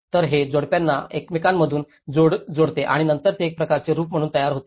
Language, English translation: Marathi, So, it couples one over the another and then it forms as a kind of roof